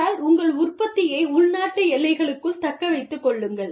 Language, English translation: Tamil, But, retain your production, within domestic borders